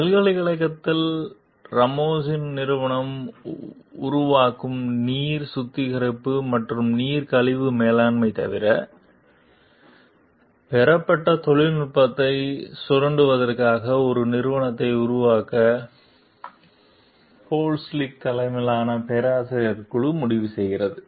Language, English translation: Tamil, At the university, a group of professors, led by Polinski, decides to form a company to exploit the technology obtained, except for water treatment and water waste management that Ramos s company will develop